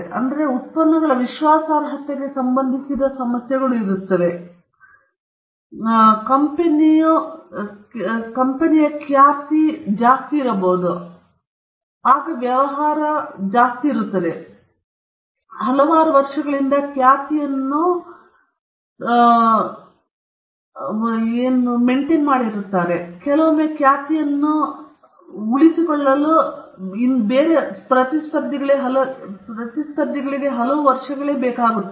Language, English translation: Kannada, So there will be issues with regard to reliability of those products, and also the company’s reputation can get affected, because if you see businesses are run on reputation, and a reputation is built over years; sometimes it it takes many years for somebody to build a reputation